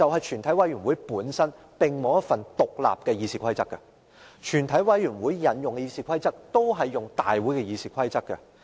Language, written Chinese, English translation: Cantonese, 全委會本身並無一份獨立的議事規則，所引用的《議事規則》就是大會的《議事規則》。, The justification is that a committee of the whole Council does not have its own rules but simply adopts RoP of the Council